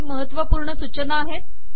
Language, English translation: Marathi, There are some important guidelines